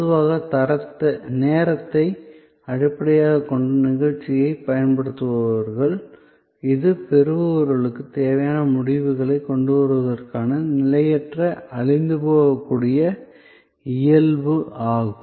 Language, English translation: Tamil, Most commonly employing time based performances, this is the transient perishable nature of service to bring about desired results in recipient themselves